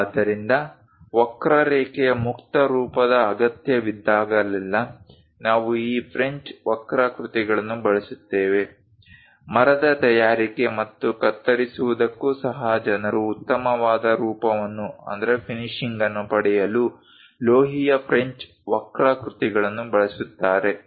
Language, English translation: Kannada, So, whenever a free form of curve is required, we use these French curves; even for wood making and cutting, people use metallic French curves to get nice finish